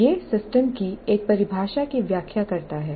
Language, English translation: Hindi, So that is one definition of system